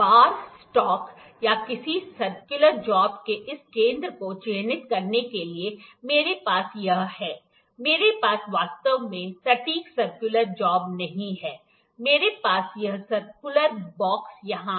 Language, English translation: Hindi, To mark this center of the bar stock or any circular job, I have this, I have do not actually the exact circular job; I have this circular box here